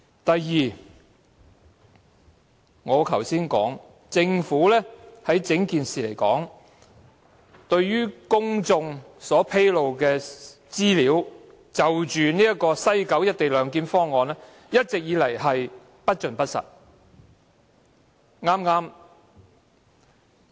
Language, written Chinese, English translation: Cantonese, 第二，我剛才已提出，政府就整件事情向公眾披露的有關西九龍站"一地兩檢"方案的資料，一直均是不盡不實。, Secondly as mentioned just now the information disclosed to the public by the Government concerning the co - location arrangement to be implemented at West Kowloon Station has all along been incomplete and untruthful